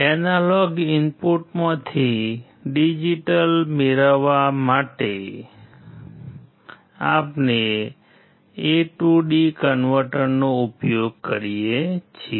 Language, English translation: Gujarati, To get digital output from an analog input, we use a to d converter